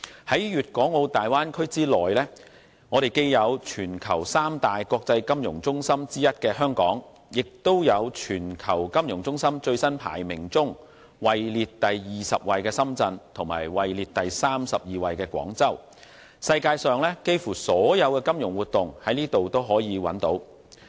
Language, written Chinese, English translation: Cantonese, 在粵港澳大灣區內，既有全球三大國際金融中心之一的香港，也有在全球金融中心最新排名中位列第二十位的深圳和位列第三十二位的廣州，世界上幾乎所有的金融活動也可在這裏找到。, Located in the Bay Area are Hong Kong which is one of the three international financial centres in the world and Shenzhen and Guangzhou which respectively rank 20 and 32 in the latest list of world financial centres . Almost all financial activities in the world can be found here . At present the financial sector of the Bay Area as a whole reaches an international scale